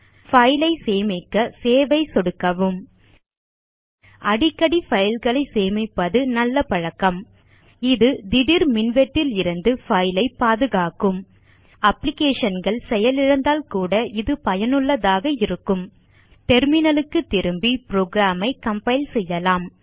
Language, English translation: Tamil, Now click onSave button to save the file It is a good habit to save files frequently This will protect you from sudden power failures It will also be useful in case the applications were to crash